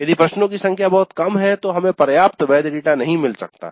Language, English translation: Hindi, If the length is too small, if the number of questions is too small, we may not get adequate valid data